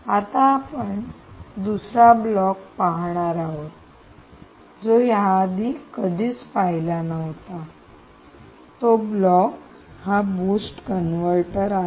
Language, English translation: Marathi, now we see another block which perhaps we have never come across, ok, and this is the boost converter